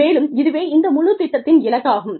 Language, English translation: Tamil, And, that is the vision, of this whole program